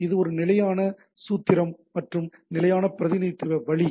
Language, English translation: Tamil, So, it is a standard formula standard way of representation